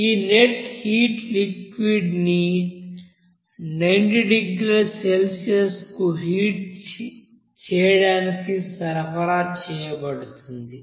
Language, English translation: Telugu, So, this amount of net heat to be supplied to the solution to heat up that solution to 90 degrees Celsius